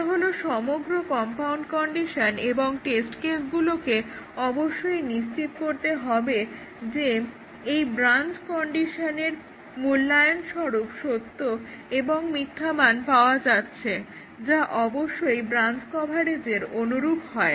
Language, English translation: Bengali, This is the entire compound condition and the test cases should ensure that this branch condition evaluates to true and false value, which is of course the same as the branch coverage